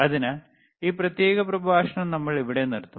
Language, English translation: Malayalam, So, we will we will we will we will stop this particular lecture here